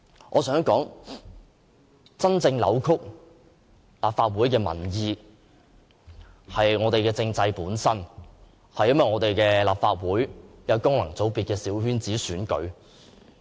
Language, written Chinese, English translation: Cantonese, 我想說，真正扭曲民意的，是我們的政制本身、是立法會功能界別的小圈子選舉。, I want to say that what really distort public opinions are our constitutional system and the small circle elections in functional constituencies of the Legislative Council